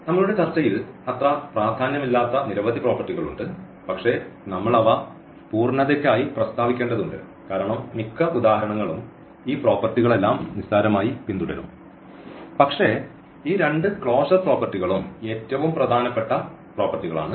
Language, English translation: Malayalam, And, there are many more properties which are not so important in our discussion, but we need to just state them for completeness because most of our examples all these properties will trivially a follow, but these two properties are the most important properties which we call the closure properties